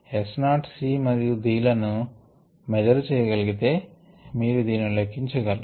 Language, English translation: Telugu, if s naught, c and d can be measured, you can calculate this right